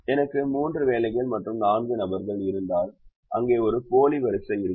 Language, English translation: Tamil, if i had three jobs and four persons, then they there'll be a dummy row